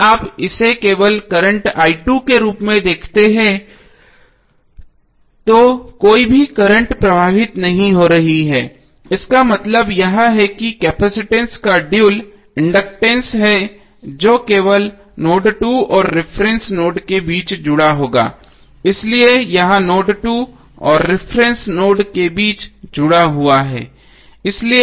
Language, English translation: Hindi, If you see this is having only current i2, no any current is flowing it means that the dual of capacitance that is inductance would be connected between node 2 and reference node only, so that is why this is connected between node 2 and reference node